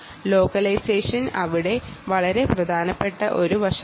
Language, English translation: Malayalam, localization is a very important aspect there, and so on